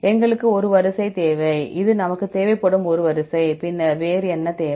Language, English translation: Tamil, We need a sequence; this is a sequence we require then what else we need